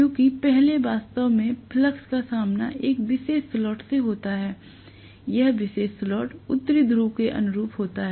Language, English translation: Hindi, Because first the flux actually faces, you know a particular slot, corresponding to particular slot the North Pole is aligning itself